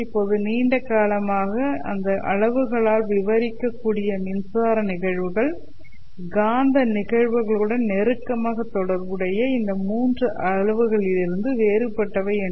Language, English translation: Tamil, Now for a long time it was thought that the electric phenomena which can be described by these quantities was kind of different from these three quantities which are closely associated with magnetic phenomena